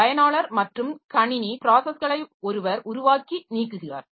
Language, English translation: Tamil, One is creating and deleting user and system processes